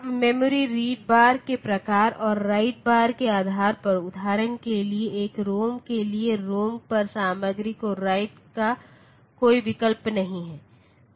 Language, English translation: Hindi, Now, depending upon the type of memory though so this read bar and write bar lines will come, for example for a ROM there is no option to write the content on to the ROM